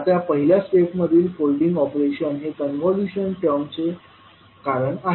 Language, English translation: Marathi, Now the folding operation in step one is the reason of the term convolution